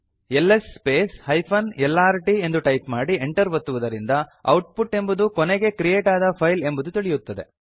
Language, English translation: Kannada, By typing ls space hyphen lrt, we can see that output is the last file to be created